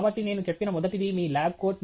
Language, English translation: Telugu, So, the first one as I said is your lab coat